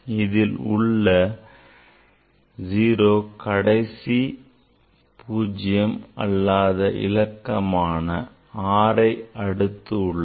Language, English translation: Tamil, So, these 0 it is at the right of this non zero number, 6